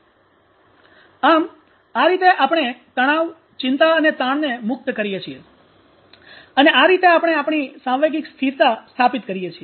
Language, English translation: Gujarati, So this is how we release out tension and anxiety and stress and that is how we establish our emotional stability